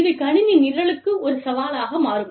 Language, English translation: Tamil, And, it becomes a challenge, for the computer program